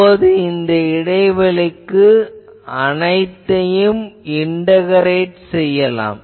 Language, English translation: Tamil, Now, let us integrate this whole thing over the gap